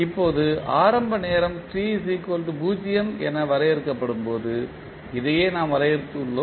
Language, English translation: Tamil, Now, this what we have defined when initial time is defined time t is equal to 0